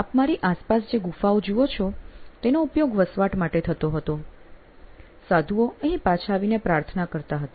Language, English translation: Gujarati, All you see around me are caves, which were used for living and they would come back and pray